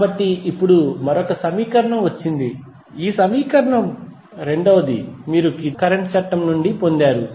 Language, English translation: Telugu, So, now have got another equation first is this equation, second you have got from the Kirchhoff Current Law